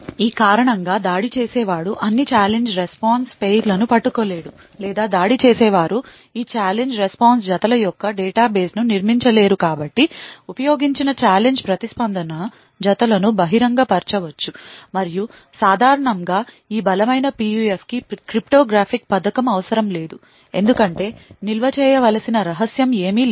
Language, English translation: Telugu, And it is also assumed that because of this the attacker will not be able to capture all the Challenge Response Pairs or attacker will not be able to build a database of all these challenge response pairs therefore, the used challenge response pairs can be made public and typically these strong PUF will not require cryptographic scheme because there is nothing secret which needs to be stored